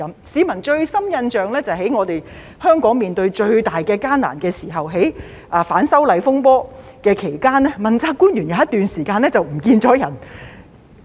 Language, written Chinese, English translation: Cantonese, 市民印象最深刻的是香港面對最大困難的時候，即在反修例風波期間，問責官員有一段時間不見蹤影。, The deepest impression that the general public have of the accountability officials was their temporary disappearance amid the most difficult time for Hong Kong ie . during the disturbances arising from the opposition to the proposed legislative amendments